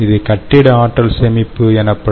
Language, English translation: Tamil, ok, so this is building energy storage